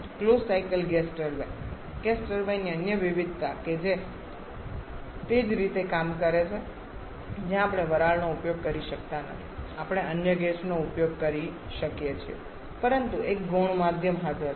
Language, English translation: Gujarati, Closed cycle gas turbine the other variation of the gas turbine that also works in the same way where we may not be using steam we may be using some other gas but there is a secondary medium present